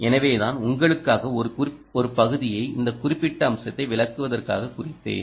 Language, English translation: Tamil, i marked a section for you to, for you to explain ah this particular aspect